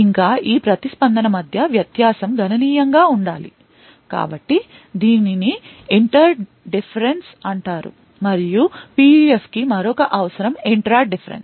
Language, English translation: Telugu, Further, the difference between this response should be significant, So, this is known as the inter difference, and another requirement for PUF is the intra difference